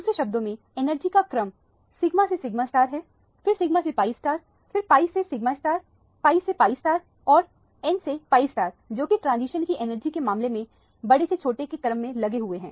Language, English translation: Hindi, In other words the order of energy is sigma to sigma star, sigma to pi star and then to pi to sigma star, pi to pi star and n to pi star is the order of decreasing order of the energy of this transition